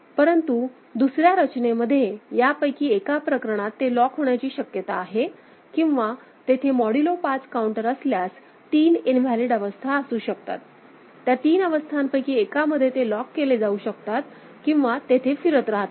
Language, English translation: Marathi, But in another design, there remains a possibility that it could be locked in one of these cases; or if there is a modulo 5 counter there could be three invalid states it could be locked in one of those three states also or you know, keep circulating there